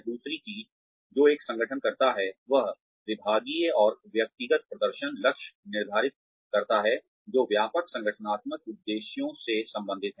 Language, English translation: Hindi, The second thing that, an organization does is, it sets departmental and individual performance targets, that are related to wider organizational objectives